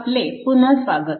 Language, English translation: Marathi, So welcome back